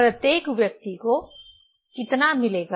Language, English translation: Hindi, Each people how much will get